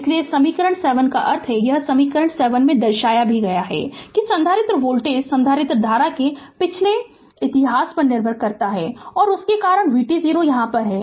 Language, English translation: Hindi, Therefore, this equation 7 that means, this equation 7 shows that capacitor voltage depend on the past history of the capacitor current right and because of that that v t 0 is here